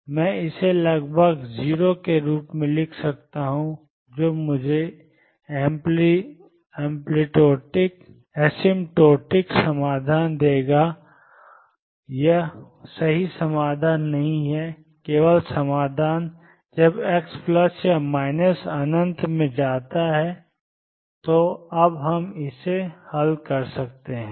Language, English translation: Hindi, So, I can approximately write this as 0 that will give me the asymptotic solutions it is not the true solution just the solution when x goes to plus or minus infinity now let us solve this